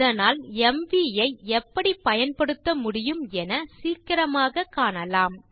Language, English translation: Tamil, So let us quickly see how mv can be used